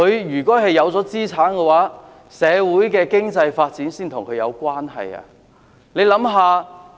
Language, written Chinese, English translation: Cantonese, 如果他們擁有資產，社會的經濟發展才會跟他們有關係。, When they manage to own property they will then be able to identify with the economic development in society